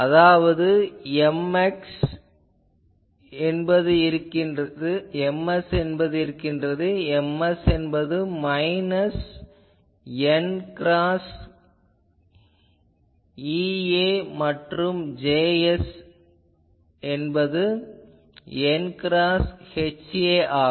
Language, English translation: Tamil, That means, M s is there, M s is minus n cross E a and also we will have to take J s is n cross H a